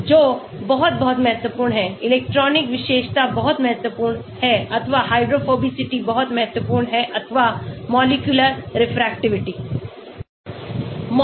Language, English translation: Hindi, what is very, very important is the electronic feature very important or the hydrophobicity is very important or molecular refractivity